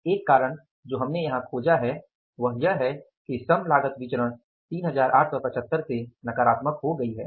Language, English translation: Hindi, So, one reason we have found out here is that labor cost variance has become negative by 3875